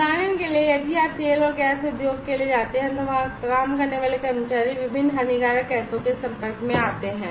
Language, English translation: Hindi, For example, if you go for oil and gas industry the workers working there are exposed to different harmful gases